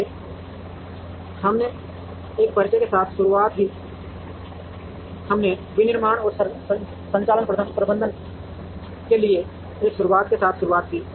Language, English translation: Hindi, So, we started off with an introduction to, we started off with an introduction to manufacturing and operations management